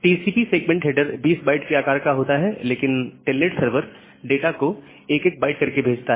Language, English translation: Hindi, TCP segment header is 20 byte of long, but telnet is sending the data to the server byte by byte